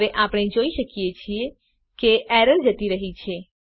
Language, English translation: Gujarati, Now we can see that the error has gone